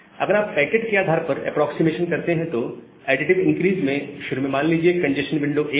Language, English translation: Hindi, In additive increase, if you do the packet wise approximation, so in additive increase, initially they say the congestion window was 1